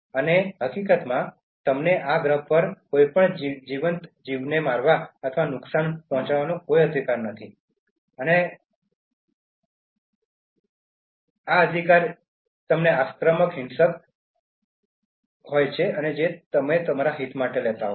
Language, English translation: Gujarati, And in fact, you have no right to kill or harm any other living organism on this planet you have no right and it is a right that you are aggressively, violently, taking it for yourself